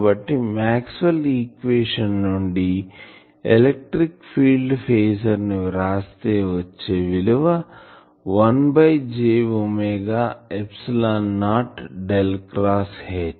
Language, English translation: Telugu, So, now, we can write the electric field phasor from the Maxwell’s equation has 1 by j omega epsilon not Del cross H